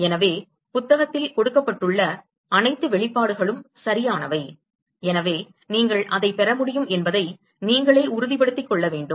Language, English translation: Tamil, So, all the expressions given in the book are right, so, you should be able to convince yourself that you are able to derive it